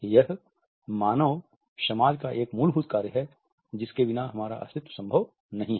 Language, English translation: Hindi, This is a fundamental function of human society without which we cannot exists